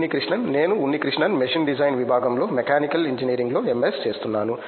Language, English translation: Telugu, Unnikrishanan: I am Unnikrishanan, I am doing my MS in Machine Design Section, Mechanical Engineering